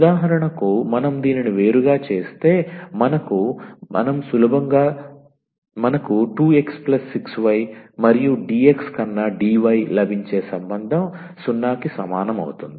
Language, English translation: Telugu, So, if we differentiate for example, this what relation we are getting 2 x plus 6 y and dy over dx is equal to 0